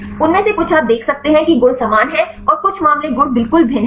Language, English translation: Hindi, Some of them you can see the properties are similar and some cases properties are totally different